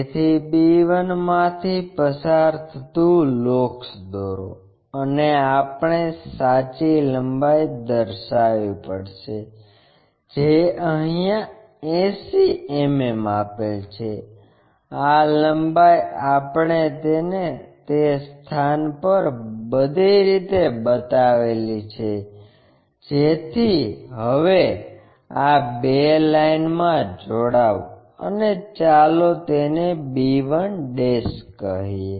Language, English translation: Gujarati, So, draw a locus which pass through b 1 and we have to locate true length, which is a given one 80 mm, this length we have to locate it all the way on that locus so this one